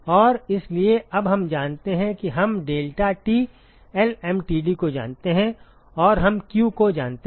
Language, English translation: Hindi, And so now we know you we know deltaT lmtd and we know q